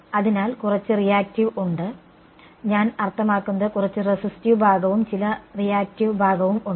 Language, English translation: Malayalam, So, there is some reactive I mean some resistive part and some reactive part ok